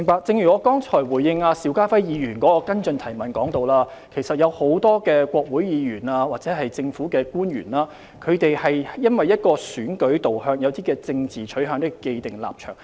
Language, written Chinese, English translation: Cantonese, 正如我剛才回應邵家輝議員的補充質詢時提到，其實很多國會議員或政府官員基於選舉導向及政治取向而有既定立場。, As I mentioned in responding to Mr SHIU Ka - fais supplementary question a number of Senators and Congressmen or government officials actually have a predetermined stance due to their electoral orientation and political inclination